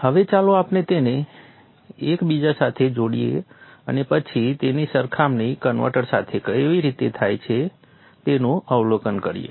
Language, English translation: Gujarati, Now let us interconnect them and then observe how it comes back to the converter